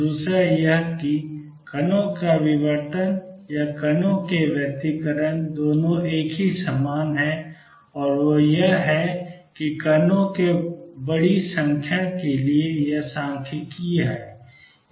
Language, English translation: Hindi, Number 2 diffraction of particles or this is same as interference of particles is statistical for a large number of particles